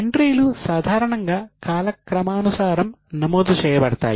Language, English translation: Telugu, Entries are recorded normally in a chronological manner